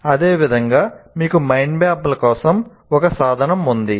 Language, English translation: Telugu, Similarly, you have a tool for mind map and so on